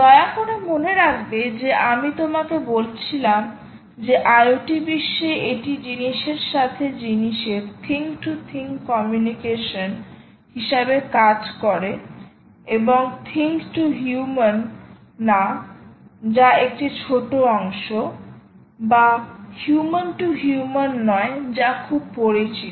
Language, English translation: Bengali, i mentioned to you that in the iot world it is about thing to thing, communication, right, thing to thing, and not human to thing, which is anywhere small part, or human to human, which is all very well known